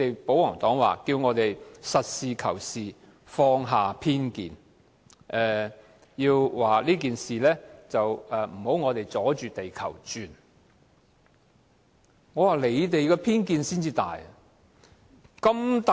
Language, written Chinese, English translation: Cantonese, 保皇黨叫我們實事求是，放下偏見，叫我們不要阻着地球轉，我認為他們的偏見才是最大的。, The pro - Government camp asked us to be practical put aside our prejudice and stop getting in the way . I think their prejudice is even stronger